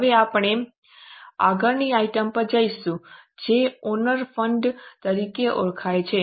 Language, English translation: Gujarati, Now we will go to the next item that is known as owner's fund